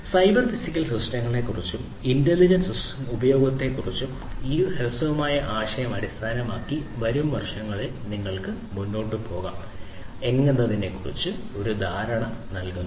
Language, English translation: Malayalam, So, this brief of brief idea about cyber physical systems and the use of intelligent sensors basically equips you with an understanding of how you can go forward in the years to come, if you have to make your industry compliant with Industry 4